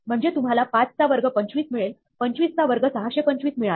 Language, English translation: Marathi, Therefore, you get 5 squared 25; 25 squared 625